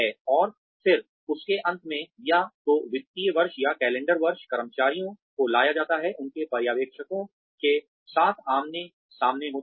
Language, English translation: Hindi, And then, at the end of that, either financial year or calendar year, employees are brought, face to face with their supervisors